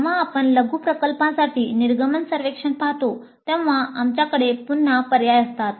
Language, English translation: Marathi, When you look at the exit survey for mini projects we have again options